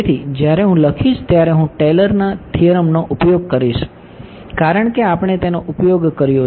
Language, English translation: Gujarati, So, when I write I will use Taylor’s theorem, because that is what we used